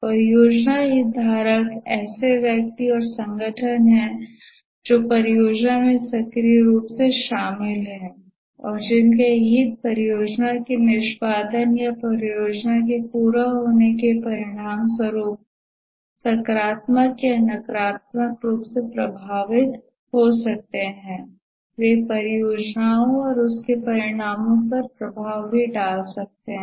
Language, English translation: Hindi, The project stakeholders are individuals and organizations that are actively involved in the project and whose interests may be positively or negatively affected as a result of the project execution or project completion